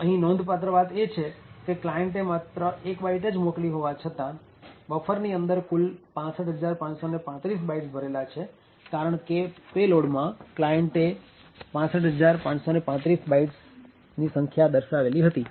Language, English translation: Gujarati, So, note that even though the client has sent 1 byte, since the payload specified was 65535 therefore the buffer would actually contain data of 65535 bytes